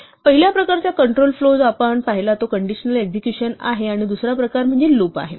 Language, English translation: Marathi, The first type of control flow which we have seen is conditional execution and the other type is loops